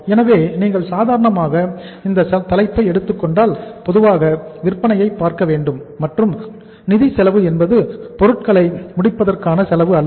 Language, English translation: Tamil, So if you take this head normally, normally see selling and financial cost is not the uh cost of finishing the goods